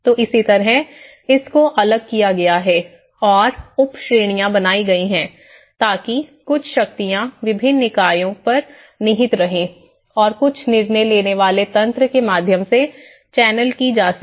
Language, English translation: Hindi, So similarly, it has been branched out and subcategories so that certain powers are vested on different bodies and certain decision making mechanisms have been channelled through